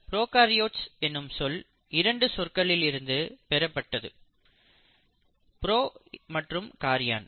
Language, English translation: Tamil, The term prokaryotes is derived from 2 words, pro and Karyon